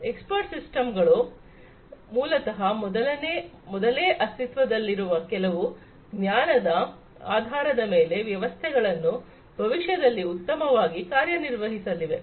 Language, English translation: Kannada, Expert systems are basically the ones where based on certain pre existing knowledge the systems are going to perform better in the future